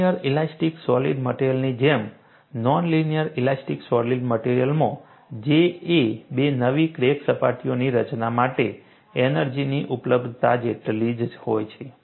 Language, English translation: Gujarati, Like in linear elastic solids, in non linear elastic solid, the J is same as the energy availability for the formation of two new crack surfaces